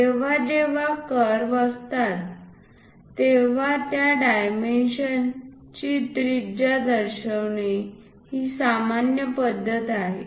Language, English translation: Marathi, Whenever curves are involved it is a common practice to show the radius of that dimension